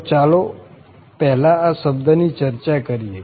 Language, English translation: Gujarati, So, let us just first discuss this term